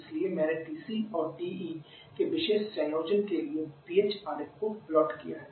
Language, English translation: Hindi, So, I plotted the PH diagram for a particular combination of TC and TE